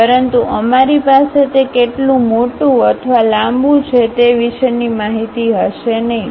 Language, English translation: Gujarati, But, we will not be having information about how large or long it is